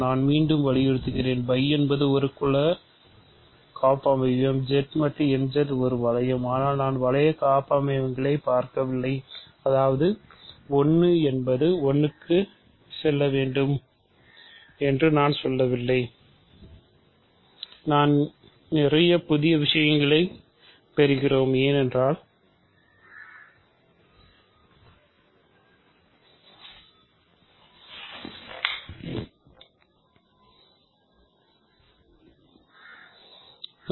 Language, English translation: Tamil, So, let me emphasise again phi is just a group homomorphism, Z mod n Z is also a ring, but I am not looking at ring homomorphisms; that means, I am not insisting that 1 goes to 1